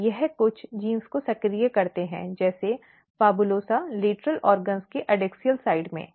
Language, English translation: Hindi, And they basically is activating some of the gene like PHABULOSA in the adaxial side of the lateral organs